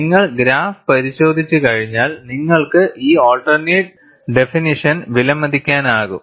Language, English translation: Malayalam, Once you look at the graph, you will be able to appreciate this alternate definition